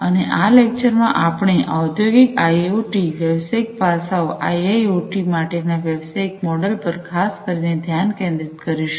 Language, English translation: Gujarati, And in this lecture, we will focus specifically on Industrial IoT, the business aspects, the business models for IIoT, specifically